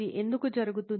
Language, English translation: Telugu, Why this happens